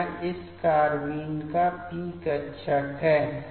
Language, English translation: Hindi, So, this is the p orbital of this carbene